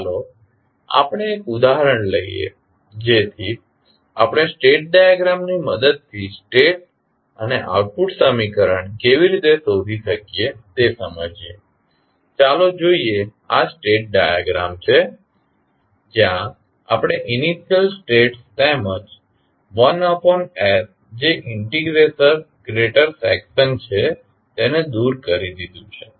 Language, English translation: Gujarati, Let us, take one example so that we can understand how we can find out the state and output equation with the help of state diagram, let us see this is the state diagram where we have removed the initial states as well as the 1 by s that is the integrator section